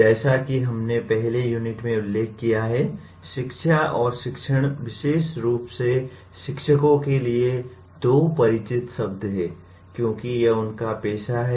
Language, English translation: Hindi, As we mentioned in the first unit, “education” and “teaching” are 2 familiar words to especially teachers because that is their profession